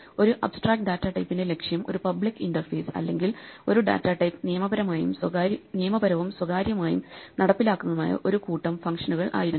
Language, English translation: Malayalam, Remember our goal in an abstract data type was to have a public interface or a set of functions which are legal for a data type and have a private implementation